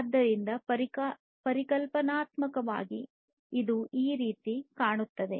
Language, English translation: Kannada, So, conceptually it would look like this